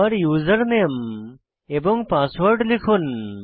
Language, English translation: Bengali, So let us type User Name and Password again